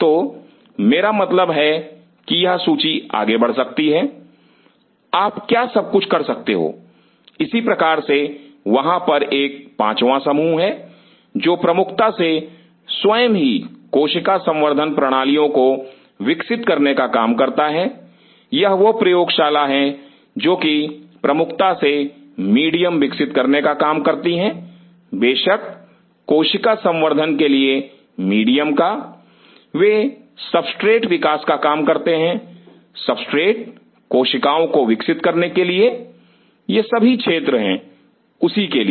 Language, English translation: Hindi, So, I mean this list can go on what all you can do similarly there is another fifth group which exclusively work on developing cell culture systems itself, these are the labs which exclusively work on medium development, medium for cell culture of course, they work on substrate development, substrate for culturing the cells these are all for the